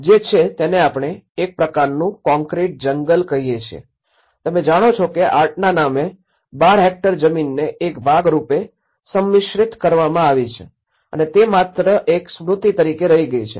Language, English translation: Gujarati, It is, we call it as you know, it is a kind of concrete jungle you know 12 hectares of land has been concretized as a part of in the name of the art and it has been as a memory